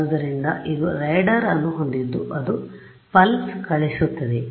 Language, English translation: Kannada, So, it has a radar it sends a pulse right